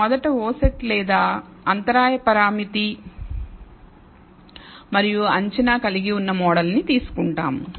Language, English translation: Telugu, So, we will first take the model containing only the o set or the intercept parameter and estimate